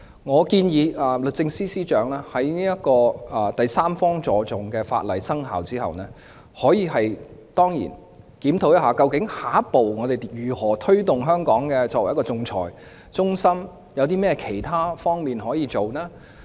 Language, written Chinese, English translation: Cantonese, 我建議律政司司長在第三方資助仲裁的法例生效後，可以檢討下一步如何推動香港作為仲裁中心的發展，有甚麼其他工作可以做？, I suggest the Secretary for Justice to review after the commencement of the legislation on third party funding for arbitration the next course of action to be taken to promote Hong Kong as an arbitration centre . What other areas of work can be taken?